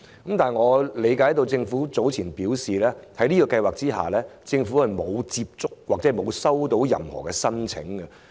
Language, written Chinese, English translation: Cantonese, 但是，據我了解，政府早前表示，在這項計劃下，並沒有接獲任何申請。, However I understand that according to the Government no application has been received under this scheme